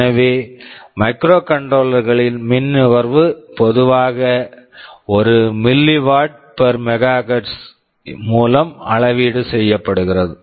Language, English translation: Tamil, So, power consumption in microcontrollers areis typically measured by milliwatt per megahertz ok